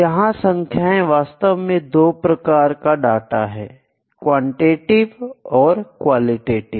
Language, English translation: Hindi, The numbers or maybe actually the two types of data qualitative and quantitative data